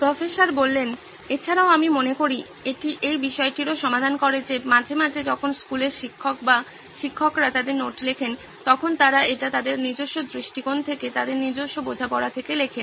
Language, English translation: Bengali, Also I think it also addresses the fact that sometimes when school teachers or teachers in general write their notes, they write it from their own perspective, their own understanding